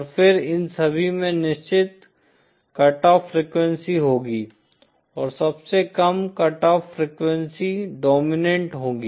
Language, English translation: Hindi, And then all of these will have certain cut off frequency and the one that has the lowest cut off frequency will be the dominant mode